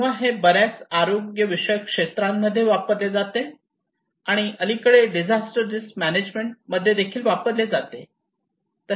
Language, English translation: Marathi, So it has been applied in various health sectors and also in recently in disaster risk management